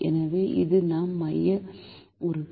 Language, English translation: Tamil, so this is our pivot element